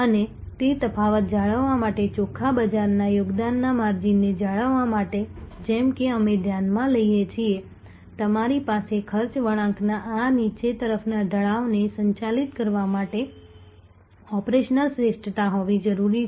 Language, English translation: Gujarati, And to maintain that difference to maintain that margin of the net market contribution as we take about you need to have operational excellence to manage this downward slope of the cost curve